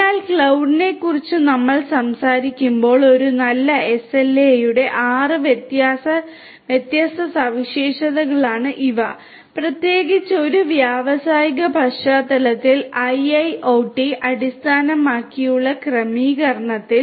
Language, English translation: Malayalam, So, these are the six different characteristics of a good SLA when we are talking about cloud particularly in an industrial setting IIoT based setting